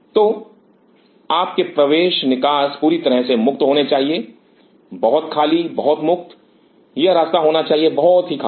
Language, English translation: Hindi, So, your entry exit should be very clear, very clear very clear it should be the passage should be very clear